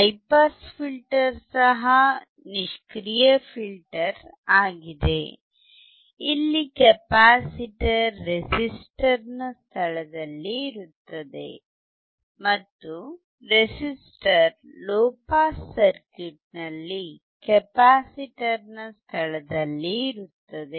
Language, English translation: Kannada, High pass filter is also passive filter; here, the capacitor takes place of the resistor, and resistor takes place of a capacitor in the low pass circuit